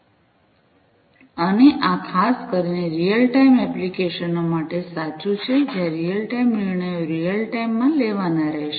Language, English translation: Gujarati, And this is particularly true for real time applications, where there are real time you know decisions will have to be taken in real time